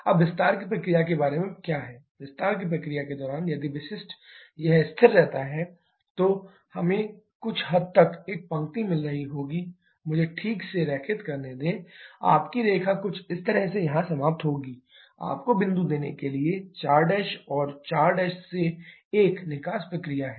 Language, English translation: Hindi, Now what about the expansion process, during the expansion process if the specific it remains constant then we shall be having a line somewhat like let me draw properly your line will be something like this ending of somewhere here to give you the point 4 prime and 4 Prime to 1 is the exact process but actually this expansion is happening what is happening to the temperature